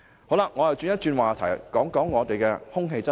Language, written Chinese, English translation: Cantonese, 我想轉換話題，討論空氣質素。, I will then shift the topic to air quality